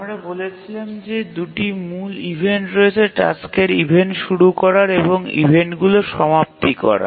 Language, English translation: Bengali, We said that there are two main events, the task starting event or release event and the completion events